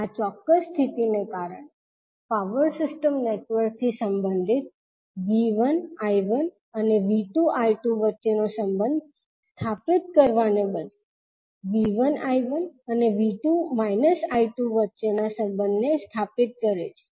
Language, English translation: Gujarati, So because of this specific condition related to power system network rather than is stabilising the relationship between V 1 I 1 and V 2 I 2 stabilizes the relationship between V 1 I 1 and V 2 and minus of I 2